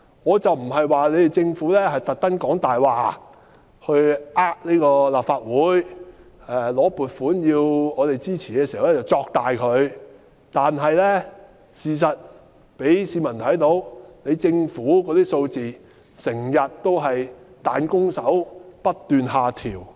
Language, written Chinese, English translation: Cantonese, 我不是指政府故意說謊以欺騙立法會，向我們申請撥款時便誇大事實，但事實上讓市民看出，政府預測的數字總是不斷下調。, I am not saying that the Government has deliberately told lies or exaggerated the facts when it submitted funding requests to the Legislative Council in order to cheat us . However the public have seen the consistent downward adjustments in the Governments forecasts